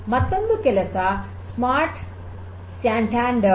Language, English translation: Kannada, Another work is the SmartSantander